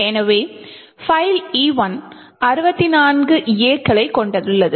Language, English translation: Tamil, So, file E1 comprises of 64 A’s